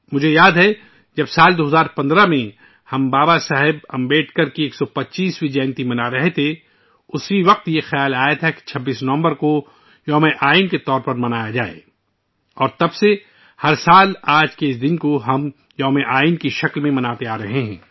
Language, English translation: Urdu, I remember… in the year 2015, when we were celebrating the 125th birth anniversary of BabasahebAmbedkar, a thought had struck the mind to observe the 26th of November as Constitution Day